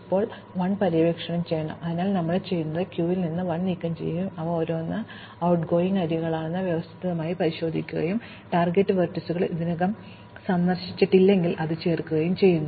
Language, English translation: Malayalam, Now, we have to explore 1, so what we do is we remove 1 from the queue and systematically check each of its outgoing edges and if those target vertices are not already visited, we add that